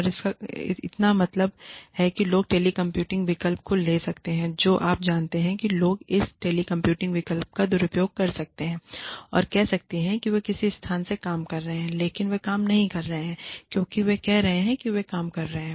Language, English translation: Hindi, And, which means, people may take the telecommuting option, you know, people may abuse this telecommuting option, and say, they are working from a location, but, they may not be working, as much of they are saying, they are working